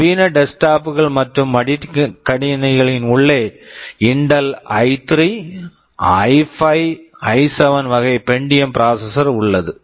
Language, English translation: Tamil, You look at our desktop, you look at our laptop, there is a Pentium we talk about Intel i3, i5, i7 class of processors inside our modern desktops and laptops